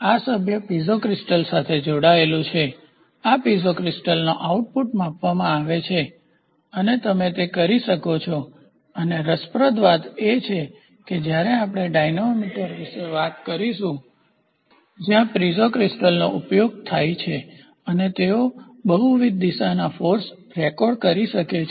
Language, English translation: Gujarati, So, this member in turn is attached to a Piezo crystal this Piezo crystal output is measured and you can do it and interestingly when we talk about dynamo meter where Piezo crystals are used they are they can record multiple direction forces